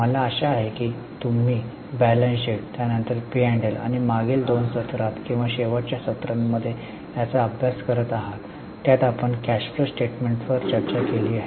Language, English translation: Marathi, I hope you are practicing on the same, on balance sheet, then P&L, and in last two sessions or last three, four sessions rather, we have been discussing on cash flow statement